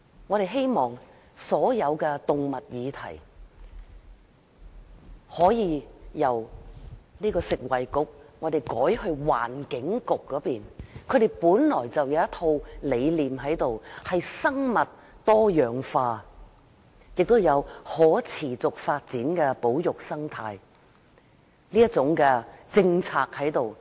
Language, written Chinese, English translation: Cantonese, 我們希望把所有有關動物的事宜，由食物及衞生局轉交環境局處理，環境局本來就有一套生物多樣化的理念，亦有可持續發展的保育生態政策。, We hope that all animal - related matters will be transferred from the portfolio of the Food and Health Bureau to that of the Environment Bureau . The Environment Bureau already has a set of ideas involving biodiversity and has formulated a sustainable policy on conservation and ecology